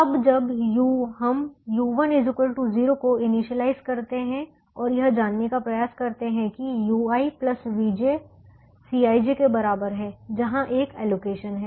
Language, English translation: Hindi, now, when we initialize u one equal to zero, initialize with u one equal to zero and try to find out: use u i plus v j is equal to c i j, where there is an allocation